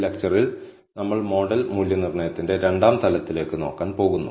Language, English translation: Malayalam, In this lecture, we are going to look at the second level of model assessment